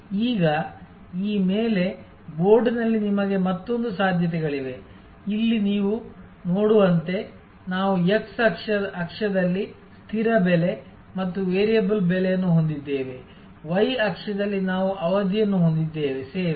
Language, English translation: Kannada, Now, on this, on the board you have another set of possibilities, as you can see here we have fixed price and variable price on the x axis, on the y axis we have the duration of the service